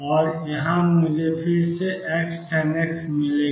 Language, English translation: Hindi, And from here again I will get x tangent x